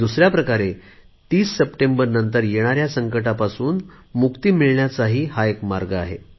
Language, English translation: Marathi, And in another way, this is the way out to save yourself from any trouble that could arise after 30th September